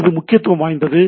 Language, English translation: Tamil, So, that is important